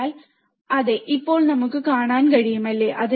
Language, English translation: Malayalam, So, yes, now we can see, right